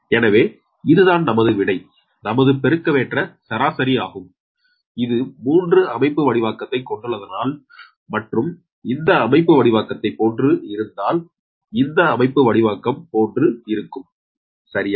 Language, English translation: Tamil, this is the answer that geometric mean radius, if it is three configuration and if the configuration like this and if the configuration is like this, right